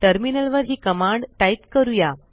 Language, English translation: Marathi, Lets try this on the terminal